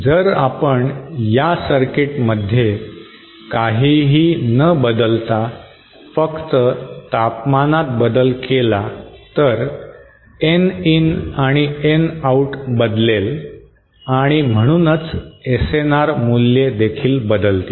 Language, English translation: Marathi, So the SNR without changing anything in this circuit if you change the temperature, Nin and Nout will change and therefore the SNR values will also change